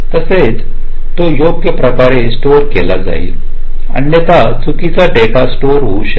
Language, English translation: Marathi, only then it will stored correctly, otherwise wrong data might get stored